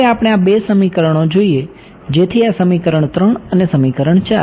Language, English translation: Gujarati, Now let us look at these two equations so this equation 3 and equation 4